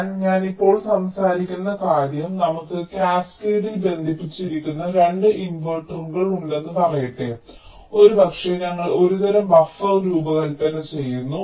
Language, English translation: Malayalam, but the case that i shall be talking about now is, lets say we have two inverters that are connected in cascade may be we are designing some kind of a buffer